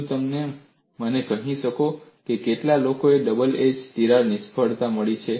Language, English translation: Gujarati, Can you tell me, how many people have got the double edge crack failed